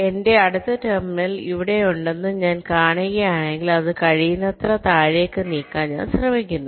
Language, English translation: Malayalam, if i see that my next terminal is here, i try to move it below, down below, as much as possible